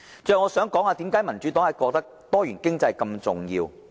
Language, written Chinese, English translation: Cantonese, 最後我想談談，為甚麼民主黨認為多元經濟這麼重要。, Lastly I would like to talk about why the Democratic Party considers that a diversified economy is of vital importance